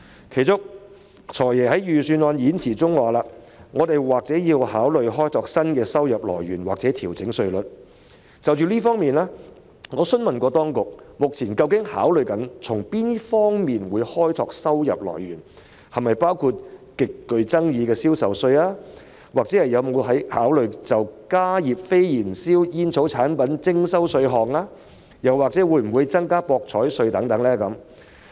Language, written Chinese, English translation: Cantonese, 其中，"財爺"在預算案演辭中提到："我們或要考慮開拓新的收入來源或調整稅率"，我曾就此詢問當局，究竟政府目前正考慮從哪些方面開拓收入來源，是否包括極具爭議的銷售稅、有否考慮就加熱非燃燒煙草產品徵收稅項，以及會否增加博彩稅等。, The Financial Secretary has mentioned in the Budget speech that we may need to consider seeking new revenue sources or revising tax rates . In this connection I have asked the authorities the areas in which the Government is considering seeking new revenue sources whether the highly controversial general sales tax is included whether it has considered the levy of a tax on heat - not - burn tobacco products and whether the rate of betting duty will be raised